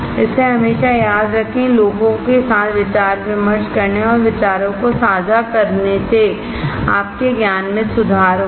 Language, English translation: Hindi, So, always remember to discuss with people understanding and sharing of ideas will improve your knowledge